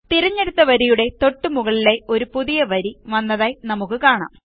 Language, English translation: Malayalam, We see that a new row gets inserted just above the selected row